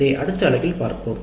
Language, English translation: Tamil, That is what we will be seeing in the next unit